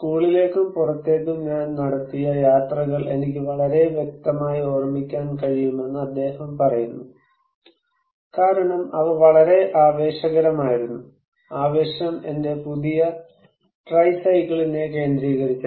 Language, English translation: Malayalam, He is saying that I can remember very clearly the journeys I made to and from the school because they were so tremendously exciting, the excitement centred around my new tricycle